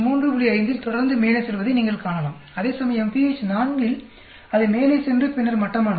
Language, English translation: Tamil, 5 consistently going up when you change temperature; whereas, at pH 4 it is going up and then sort of flattening out, right